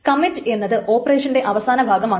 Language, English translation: Malayalam, The commit is the last operation of a transaction